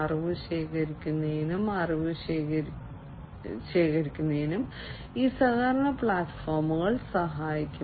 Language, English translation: Malayalam, This collaboration platform will help in collecting knowledge, collecting knowledge